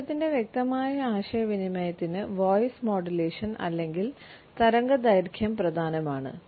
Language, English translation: Malayalam, Voice modulation or waviness is important for a clear communication of the message